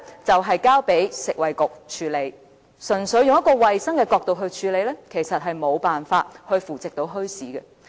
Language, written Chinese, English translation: Cantonese, 便是交由食物及衞生局處理，但純粹用衞生的角度來處理，其實無法扶植墟市。, Well the matter is handled by the Food and Health Bureau . However it is impossible to support and promote the development of bazaars simply from the perspective of environmental hygiene